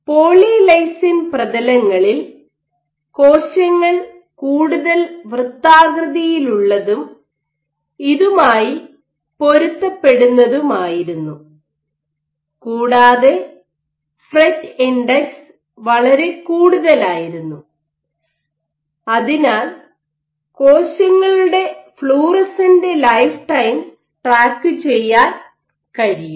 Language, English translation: Malayalam, In polylysine surfaces cells were much more rounded and consistent with this the fret index was much higher you could also track the lifetime